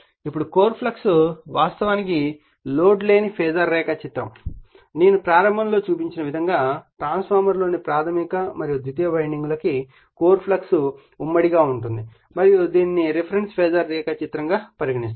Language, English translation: Telugu, Now, the core flux actually no load Phasor diagram, the core flux is common to both primary and secondary windings in a transformer that I showed you in the beginning and is thus taken as the reference Phasor in a phasor diagram